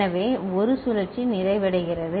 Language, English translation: Tamil, So, one cycle is getting completed